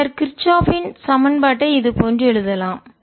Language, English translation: Tamil, now we can write kirchhoff's equation